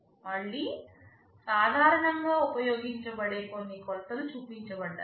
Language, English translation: Telugu, Some of the typical measures that are used again are shown